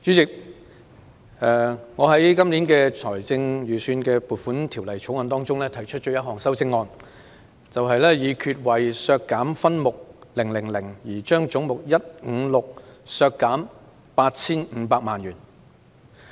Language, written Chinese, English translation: Cantonese, 主席，我就《2019年撥款條例草案》提出了1項修正案：議決為削減分目000而將總目156削減 8,500 萬元。, Chairman I have proposed one amendment to the Appropriation Bill 2019 Resolved that head 156 be reduced by 85 million in respect of subhead 000